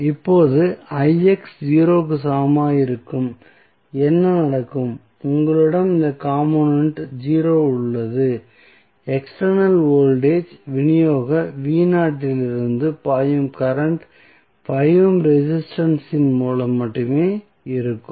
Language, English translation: Tamil, Now, what happens when Ix is equal to 0, you have this component 0, the current which is flowing from external voltage supply V naught would be only through the 5 ohm resistance